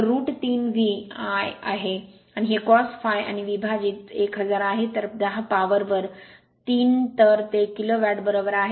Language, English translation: Marathi, So, root 3 V, this is I, and this is cos phi and divided by 1000, so 10 to the power minus 3 so it is kilo watt right